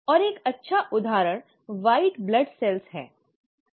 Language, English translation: Hindi, And one good example is the white blood cells